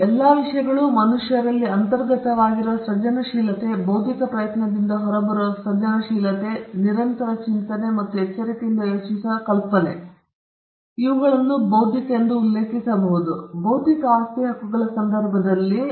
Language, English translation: Kannada, Now, all these things, creativeness that is inherent in human beings, creativity that comes out of an intellectual effort, and idea that comes from constant thinking or careful thinking these things is what we refer to as intellectual, in the context of intellectual property rights